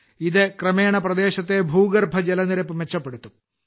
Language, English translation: Malayalam, This will gradually improve the ground water level in the area